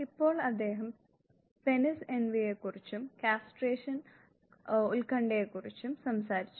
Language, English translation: Malayalam, Now, he talked about now penis envy and castration anxiety